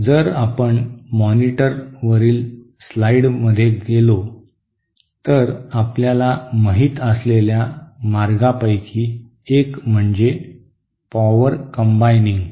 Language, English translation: Marathi, So one of the ways you know if we go to the slides on the monitor is a method called ÒPower CombiningÓ